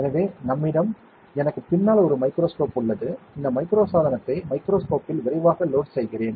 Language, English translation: Tamil, So, we have; I have a microscope behind me, I will quickly load this micro device onto the microscope ok